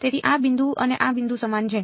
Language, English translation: Gujarati, So, this point and this point is the same